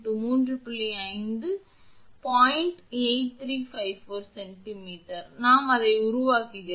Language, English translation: Tamil, 8354 centimeters we are making it